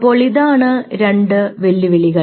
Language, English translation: Malayalam, there are two challenges